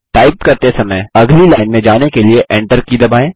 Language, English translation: Hindi, Press the Enter key to go to the next line while typing